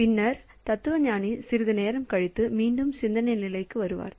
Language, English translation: Tamil, Then the philosopher goes into the thinking state after some time the philosopher will again come up